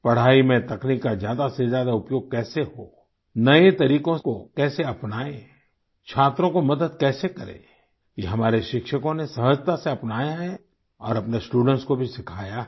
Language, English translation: Hindi, Ways to incorporate more and more technology in studying, ways to imbibe newer tools, ways to help students have been seamlessly embraced by our teachers… they have passed it on to their students as well